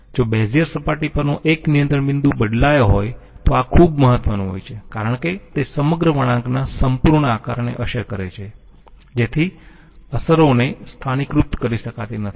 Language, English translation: Gujarati, If one control point on the Bezier surface is changed, this is very important it affects the whole shape of the whole curve therefore, F x cannot be localised